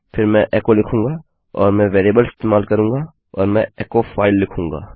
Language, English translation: Hindi, Then Ill say echo and use the variable and Ill say echo file